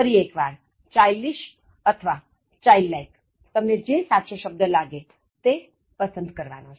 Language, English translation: Gujarati, Again childish, childlike, choose the one you think is right